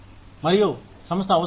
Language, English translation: Telugu, And, what is required by the organization